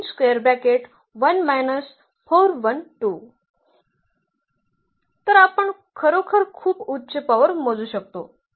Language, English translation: Marathi, So, we can actually compute a very high power